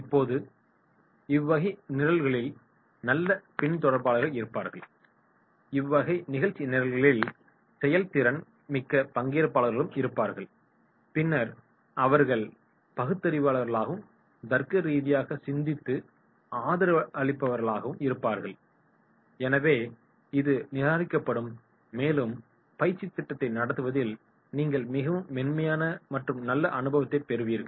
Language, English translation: Tamil, Now, this type of programmes will be good followers, this type of programmes will be active participants and then they will be rational, they will be logical, they will be supporting and therefore this will be discarded and you will be having smooth and very nice experience in conducting the training program